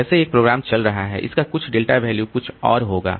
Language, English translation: Hindi, Some other program, delta value will be something else